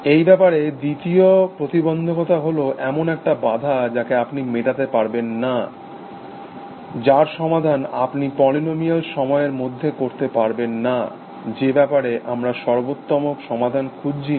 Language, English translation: Bengali, The second counter to this, objection that you cannot sign, that you cannot solve problems in polynomial time is that we are not seeking to find optimal solutions